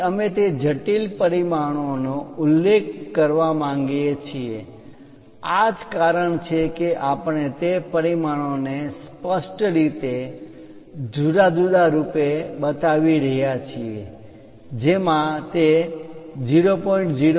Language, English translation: Gujarati, So, we want to really mention those intricate dimensions also that is the reason we are showing it as a separate one with clear cut dimensioning it is having R of 0